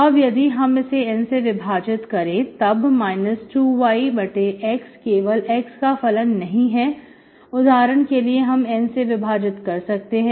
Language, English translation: Hindi, If I divide with N, it is not function of x, right, divided by N for example